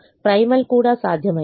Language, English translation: Telugu, the primal also has become feasible